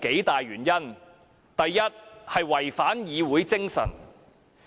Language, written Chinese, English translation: Cantonese, 第一，違反議會精神。, First it is against the spirit of the Council